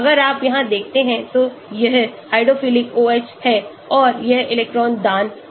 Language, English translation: Hindi, if you look here this is hydrophilic OH and it is electron donating